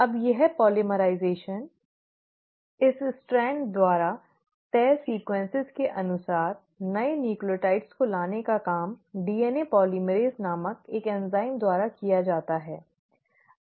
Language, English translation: Hindi, Now this polymerisation, this bringing in of new nucleotides as per the sequences just dictated by this strand is done by an enzyme called as DNA polymerase